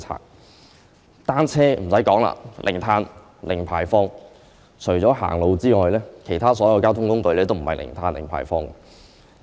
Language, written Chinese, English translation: Cantonese, 不用多說，單車是零碳、零排放，而除了走路外，其他所有交通工具都不是零碳、零排放。, Needless to say bicycles produce zero carbon and zero emission whereas other modes of transport except walking are unable to achieve zero carbon and zero emission